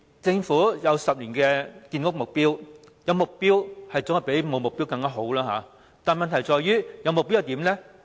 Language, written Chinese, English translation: Cantonese, 政府有10年的建屋目標，無疑總比沒有目標好，問題是有了目標又如何？, Undoubtedly it is better for the Government to have a 10 - year target than without any target . The problem is what happened after the target was set?